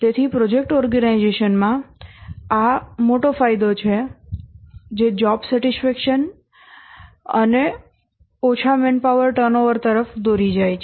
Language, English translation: Gujarati, So this is a big advantage in the project organization leads to job satisfaction and less manpower turnover